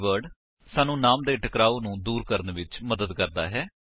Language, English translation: Punjabi, this keyword helps us to avoid name conflicts